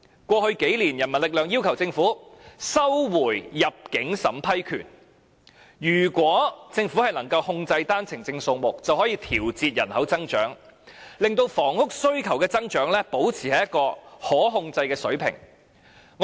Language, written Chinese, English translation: Cantonese, 過去數年，人民力量要求政府收回入境審批權，如果政府能夠控制單程證數目，便可以調節人口增長，令房屋需求的增長維持在一個可控制的水平。, In the past few years the People Power has requested the Government to recover the power of entry approval . If the Government has control over the OWP quota it will then be able to adjust population growth and maintain the growth of housing demand at a manageable level